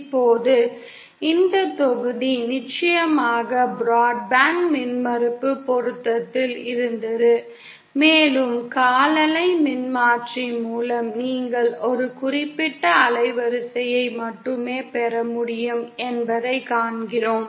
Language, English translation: Tamil, Now this module was of course on broadband impedance matching, and we see that with a quarter wave transformer you can get only a certain band width